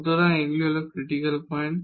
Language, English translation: Bengali, So, these are the critical points